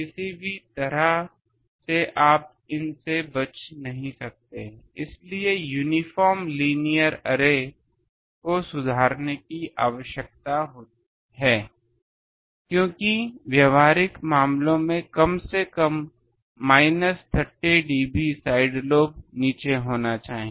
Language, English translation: Hindi, By hook by crook you cannot avoid these, so uniform linear arrays need to be improved, because in practical cases at least minus 30 dB the side lobe should be down